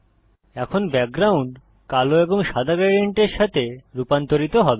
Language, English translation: Bengali, Now the background will be rendered with a black and white gradient